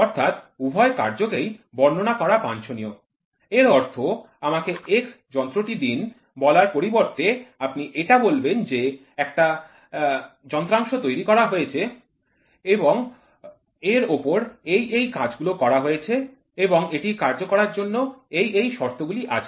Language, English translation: Bengali, So, it is desirable to describe both the operation; that means, to say rather than saying please give me that x instrument, you say that is say so, here is a part in which is manufactured and this undergoes these these these operations and this is what is the criticality of this part in terms of performance